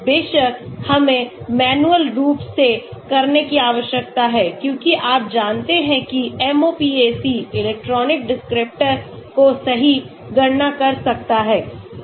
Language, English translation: Hindi, Of course, we need to do manually as you know MOPAC can do electronic descriptors right, calculations, So